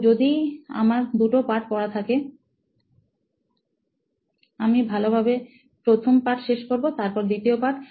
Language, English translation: Bengali, So if I have two chapters to do, I will go thoroughly to first chapter complete and second